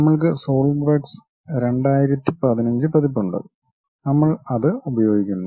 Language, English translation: Malayalam, We have Solidworks 2015 version and we are using that